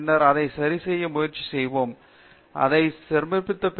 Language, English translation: Tamil, Then will see try it correct so, we will submit it